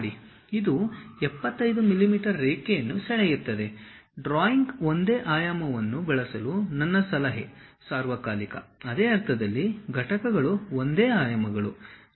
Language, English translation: Kannada, It draws a line with 75 mm my suggestion is all the time for the drawing use same dimension; same in the sense same units of dimensions